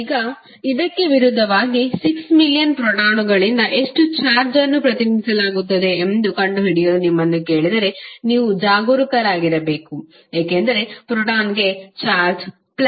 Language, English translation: Kannada, Now, opposite to that if you are asked to find out how much charge is being represented by 6 million protons then you have to be careful that the proton will have charge positive of 1